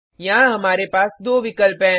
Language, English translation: Hindi, We have two options here